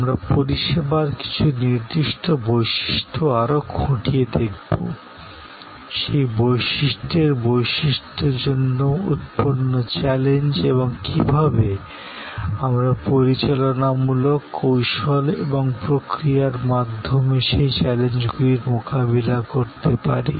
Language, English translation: Bengali, We are going to dig a little deeper into certain particular characteristics of service, the challenges that are post by those characteristics and how, we meet those challenges through the managerial strategies and processes